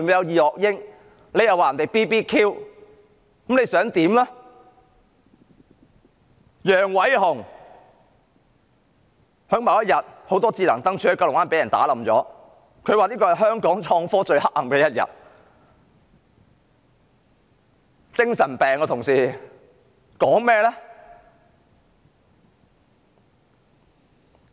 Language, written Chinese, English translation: Cantonese, 至於楊偉雄，某天九龍灣很多智能燈柱被砸爛，他說這是香港創科最黑暗的一天，他有精神病呀，同事們？, What was in his mind? . As for Nicholas YANG the other day many smart lampposts were destroyed in Kowloon Bay and he said that it was the darkest day for innovation and technology in Hong Kong . Members he is mentally ill is he not?